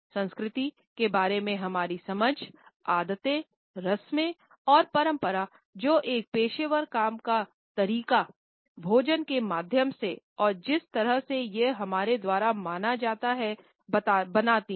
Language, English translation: Hindi, Since our understanding of culture, habits, rituals and traditions which mould a working professional can be explode through food and the way it is perceived by us